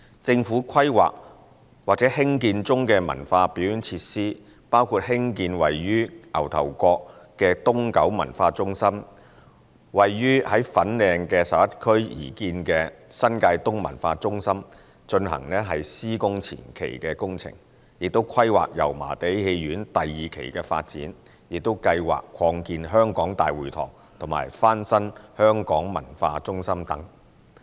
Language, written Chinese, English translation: Cantonese, 政府規劃或興建中的文化表演設施，包括興建位於牛頭角的東九文化中心、為位於粉嶺11區的新界東文化中心進行施工前期工序，規劃油麻地戲院第二期的發展，以及計劃擴建香港大會堂及翻新香港文化中心等。, Currently the cultural and performance facilities under planning and construction by the Government include the construction of the East Kowloon Cultural Centre in Ngau Tau Kok the implementation of pre - construction activities of the New Territories East Cultural Centre in Area 11 Fanling the planning of the development of Yau Ma Tei Theatre Phase II the planning of the expansion of the Hong Kong City Hall the renovation of the Hong Kong Cultural Centre etc